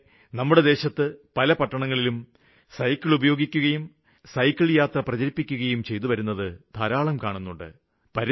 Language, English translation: Malayalam, Nowadays many cities in our country are witnessing cycle use and there are many people promoting its use